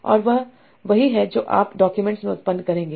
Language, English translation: Hindi, And that's what you will generate in the document